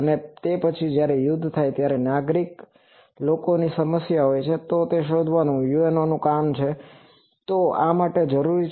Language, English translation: Gujarati, And later when the war is over that possess problem to civilian people, so detection of that is a UNOs job, so this is required for that